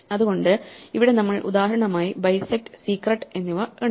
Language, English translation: Malayalam, So, here we saw example for bisect and secret